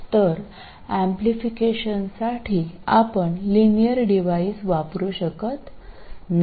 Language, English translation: Marathi, So, you cannot use a linear device for amplification